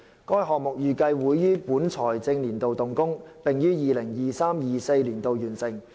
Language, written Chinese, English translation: Cantonese, 該項目預計會於本財政年度動工，並於 2023-2024 年度完成。, The construction works for the project are expected to commence in this financial year and be completed in 2023 - 2024